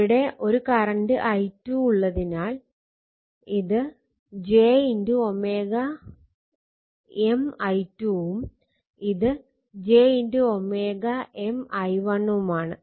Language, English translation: Malayalam, So, i1 minus i 2 is showing, j omega L 1 this will be j omega M i 2 right